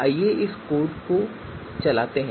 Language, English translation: Hindi, Now so let us execute this